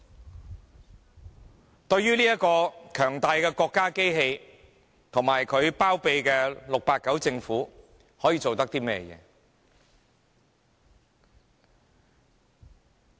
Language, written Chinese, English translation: Cantonese, 面對這個強大的國家機器及其包庇的 "689" 政府，市民可以做甚麼呢？, What can the people do in the face of this powerful state machinery and the 689 Government that it habours?